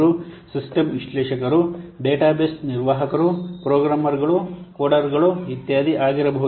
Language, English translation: Kannada, They could be, that could be system analyst, database administrators, programmers, code, etc